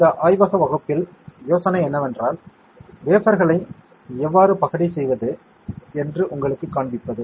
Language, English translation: Tamil, In this lab class, the idea is to show you how to dice the wafer